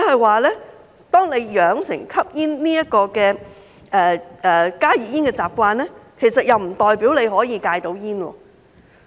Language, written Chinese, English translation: Cantonese, 換言之，養成吸食加熱煙這個習慣，並不代表可以戒煙。, In other words getting into the habit of smoking HTPs does not mean that one can quit smoking